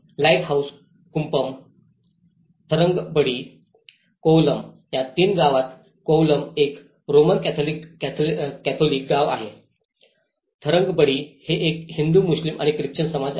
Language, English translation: Marathi, Lighthouse kuppam, Tharangambadi, Kovalam in all the three villages Kovalam is a Roman Catholic village, Tharangambadi is a mix like which is a Hindu, Muslim and Christian community lives there